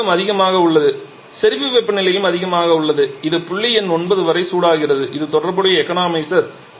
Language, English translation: Tamil, Here the saturation pressure is higher so saturation temperature is also higher so it is heated up to point number 9 this is the corresponding economizer